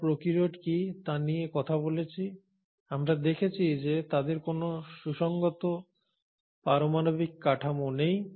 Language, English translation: Bengali, We have talked about what is, what are prokaryotes, and we have seen that they do not have a well defined nuclear structure